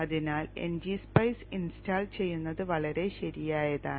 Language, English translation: Malayalam, So installing NG spice is pretty straightforward